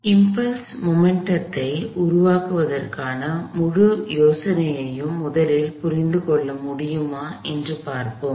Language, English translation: Tamil, So, let see, we can first understand the whole idea of impulse momentum formulation